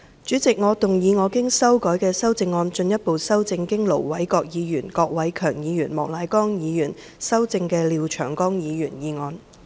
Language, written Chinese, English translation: Cantonese, 主席，我動議我經修改的修正案，進一步修正經盧偉國議員、郭偉强議員及莫乃光議員修正的廖長江議員議案。, President I move that Mr Martin LIAOs motion as amended by Ir Dr LO Wai - kwok Mr KWOK Wai - keung and Mr Charles Peter MOK be further amended by my revised amendment